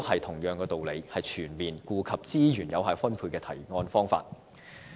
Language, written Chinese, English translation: Cantonese, 同樣道理，這亦是全面顧及資源有效分配的提案方法。, By the same token a motion proposed in this way has taken effective allocation of resources into full account